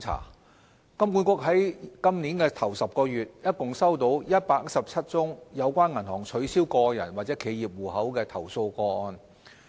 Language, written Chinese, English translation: Cantonese, 香港金融管理局於本年首10個月，共收到117宗有關銀行取消個人或企業戶口的投訴個案。, During the first 10 months of 2017 the Hong Kong Monetary Authority HKMA has received 117 complaint cases concerning the closure of individual or corporate accounts by banks . HKMA has followed up on each and every one of them